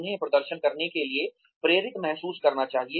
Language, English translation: Hindi, They should feel motivated to perform